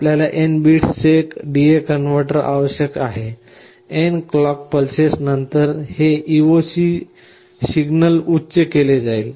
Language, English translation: Marathi, You need a D/A converter of n bits, after n clock pulses this EOC signal will be made high